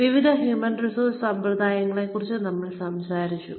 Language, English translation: Malayalam, We have talked about different human resources practices